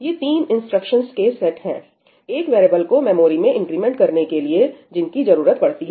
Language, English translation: Hindi, This is the set of three instructions that are required in order to increment a variable which is in the memory